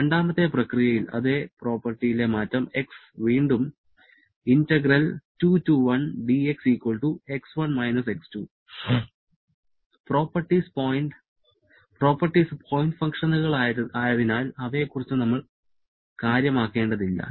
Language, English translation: Malayalam, That is in the second process, the change in the property is here we are changing the same property X will be from, will be again equal to X1 X2, properties being point functions we do not need to bother about them